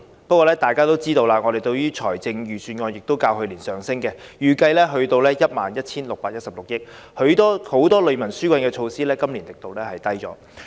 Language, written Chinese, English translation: Cantonese, 然而，大家也知道，我們的財政儲備其實較去年有所增加，預計會達到 11,616 億元，但今年很多利民紓困措施的力度也減少了。, Nevertheless everyone knows that our fiscal reserve has actually increased when compared with last years which is expected to reach 1,161.6 billion . However the strength of many measures to relieve peoples burdens are reduced this year